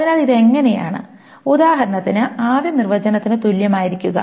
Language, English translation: Malayalam, So how is this equivalent, for example, to the first definition